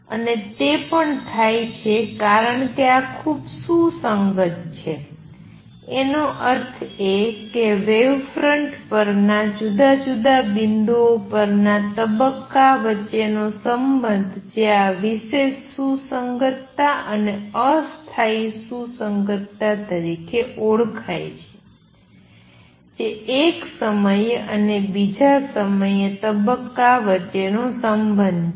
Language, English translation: Gujarati, Three and that also happens because this is highly coherent; that means, the relationship between phase on different points on the wave front which is known as this special coherence and temporary coherence that is the relationship between phase at one time and the other time